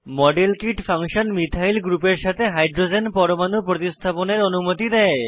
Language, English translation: Bengali, The Modelkit function allows us to substitute a Hydrogen atom with a Methyl group